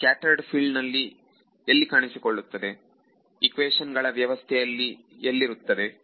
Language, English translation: Kannada, In the scattered field where did it appear where is it being introduced into the system of equations